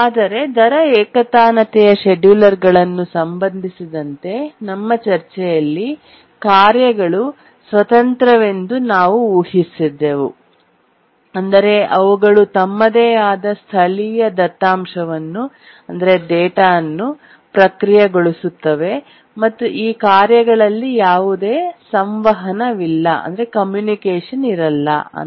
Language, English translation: Kannada, But in our discussion on the rate monotonic schedulers, we had assumed the tasks are independent in the sense that they process on their own local data and there is no communication whatever required among these tasks